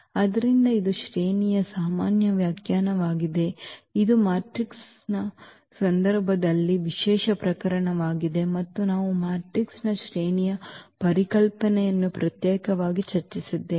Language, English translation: Kannada, So, this is a more general definition of the rank which the in case of the matrix that is the special case and we have separately discussed the rank concept of the matrix